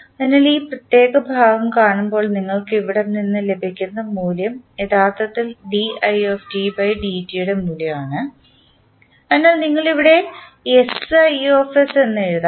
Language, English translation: Malayalam, So, when you see this particular segment the value which you get from here is actually the value of i dot, so you can simply write S into i s here